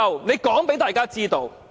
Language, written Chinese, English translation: Cantonese, 請他告訴大家知道。, Would he please tell us this